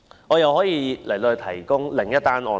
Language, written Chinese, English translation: Cantonese, 我又可以舉出另一宗案例。, I can also give another example